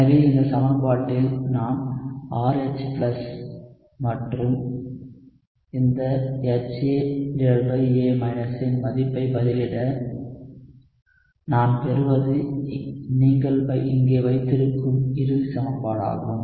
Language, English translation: Tamil, So if I plug in the value of RH+ and this HA by A into this equation, what I will get is the final equation that you have here